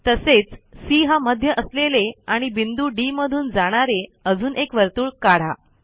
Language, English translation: Marathi, Let us construct an another circle with center C which passes through D